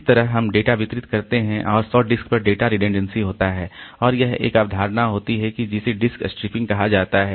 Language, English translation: Hindi, So, that way we distribute the data and have data redundancy over the 100 disk and there is a concept called disk striping